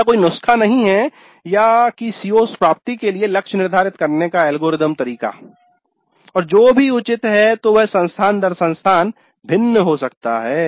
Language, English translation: Hindi, There is no recipe, algorithmic way of determining the targets for CO attainment and what is reasonable can vary from institute to institute